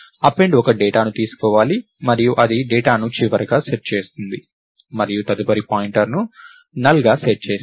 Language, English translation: Telugu, So, append is supposed to take a data and it sets the data to the last and sets the next pointer to null